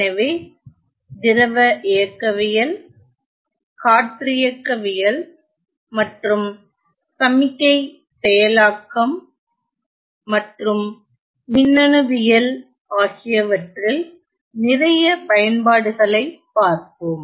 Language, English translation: Tamil, So, we will see lot of applications in the areas of fluid mechanics, in the areas of aerodynamics and signal processing as well as in electronics